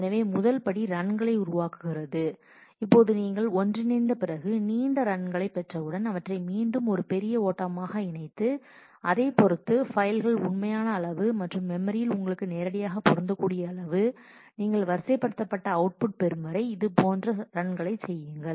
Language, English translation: Tamil, So, the first step creates the runs and now after you have done merging once you get longer runs then again you merge them into a bigger run and depending on the on the actual size of the file and the size of the memory that directly fits in you might be doing multiple such runs till you get to the sorted output